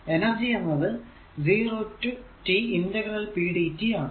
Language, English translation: Malayalam, So, this t is equal to t 0 t